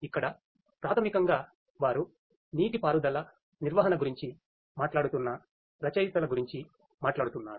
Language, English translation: Telugu, Here basically they are talking about the authors they are talking about the irrigation management